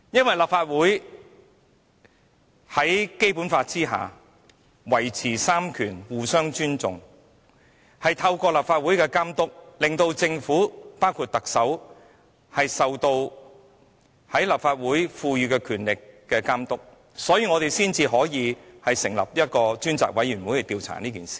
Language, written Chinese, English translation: Cantonese, 在《基本法》下三權應互相尊重，為了讓政府受立法會賦予的權力監督，所以我們成立專責委員會調查這事。, Under the Basic Law the three powers should respect one another . In order to subject the Government including the Chief Executive to the monitoring of the Legislative Council we set up the Select Committee to inquire into the incident